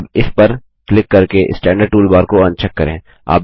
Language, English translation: Hindi, Let us now uncheck the Standard toolbar by clicking on it